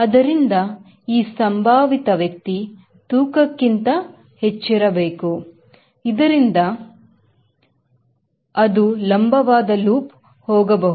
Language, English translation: Kannada, so this gentleman has to be more than weight so that it can go the vertical loop